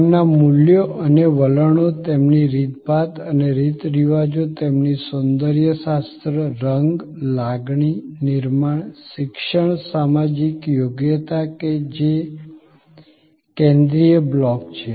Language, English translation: Gujarati, Their values and attitudes, their manners and customs their sense of esthetics, color, feel, texture, education social competency that is the central block